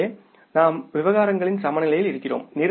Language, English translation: Tamil, So, we are in the balanced state of affairs